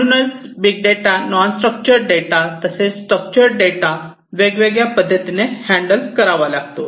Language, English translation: Marathi, So, these are like big data, non structured as well as structured data, which will have to be handled in certain ways